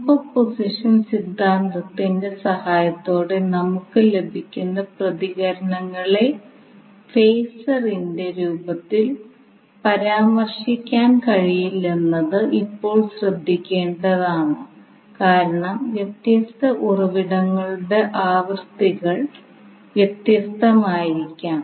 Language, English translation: Malayalam, Now it is important to note here that the responses which we get with the help of superposition theorem cannot be cannot be mentioned in the form of phasor because the frequencies of different sources may be different